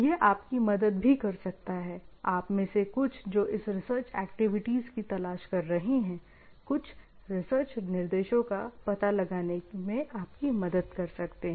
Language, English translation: Hindi, This also may help you, in some of you who are looking for some of the research activities around this, may help you in finding out some research directions